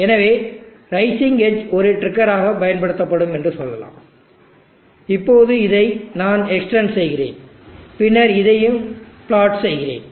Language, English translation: Tamil, So let us say the rising edge will be used as a trigger, now let me extent this and then plot this also